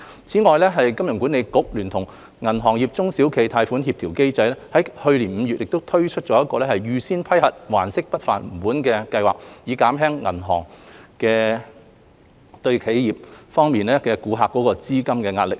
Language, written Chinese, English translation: Cantonese, 此外，香港金融管理局聯同銀行業中小企貸款協調機制於去年5月推出"預先批核還息不還本"計劃，減輕銀行的企業客戶面對的資金壓力。, In addition the Hong Kong Monetary Authority HKMA together with the Banking Sector SME Lending Coordination Mechanism launched the Pre - approved Principal Payment Holiday Scheme last May to help relieve the cash flow pressures facing corporate customers of banks